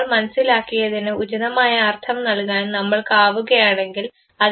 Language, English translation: Malayalam, If we succeed a assigning an appropriate meaning to what we have sensed this is what is called as Perception